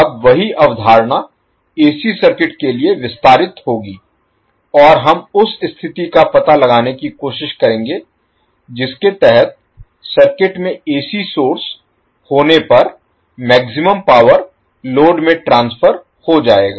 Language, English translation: Hindi, Now the same concept will extend for the AC circuit and we will try to find out the condition under which the maximum power would be transferred to the load if AC source are connected to the circuit